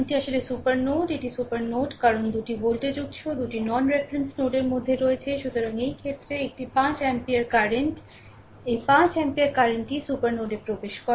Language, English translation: Bengali, This is actually super node this is supernode because 2 1 voltage source is there in between 2 non reference node; so, in this case, a 5 ampere current this 5 ampere current actually entering the super node